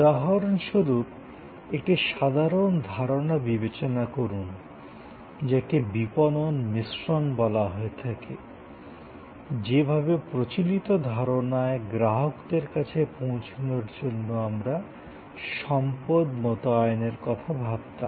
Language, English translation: Bengali, Take for example a simple concept, which is called the marketing mix, the way earlier we thought of deployment of resources for reaching out to customers